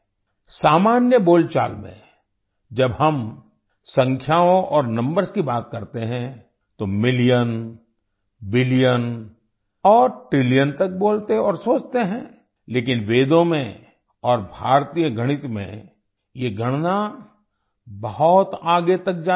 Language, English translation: Hindi, In common parlance, when we talk about numbers and numbers, we speak and think till million, billion and trillion, but, in Vedas and in Indian mathematics, this calculation goes much further